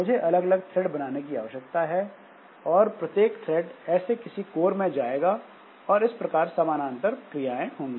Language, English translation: Hindi, So I have to create separate threads and each thread will go to one such core and that way there will be parallelism